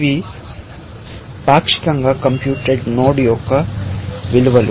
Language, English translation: Telugu, These are the values of partially computed node, essentially